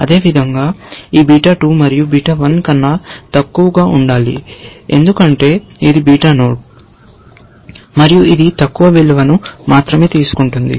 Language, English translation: Telugu, Likewise, it must be less than this beta 2, because this is the beta node, and it is going to only take lower values and also, beta 1